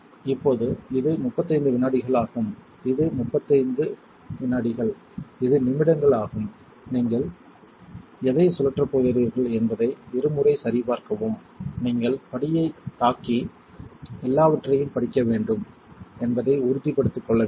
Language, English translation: Tamil, Right now this is 35 seconds over here it is minutes always double check what you are going to spin you want to make sure you hit step and read everything